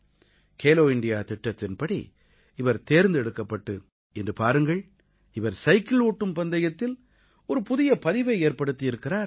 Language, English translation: Tamil, He was selected under the 'Khelo India' scheme and today you can witness for yourself that he has created a new record in cycling